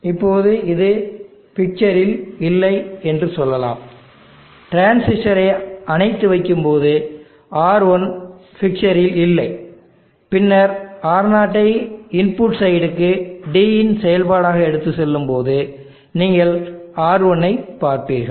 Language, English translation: Tamil, Now let us say this is not there in the picture, R1 is not in the picture when the transistor is off, then Ro when you take it on to the input side as a function of D you will see RT